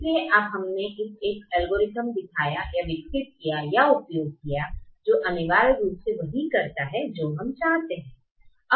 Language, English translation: Hindi, so now we have shown or developed or used an algorithm which essentially does what we wanted to do now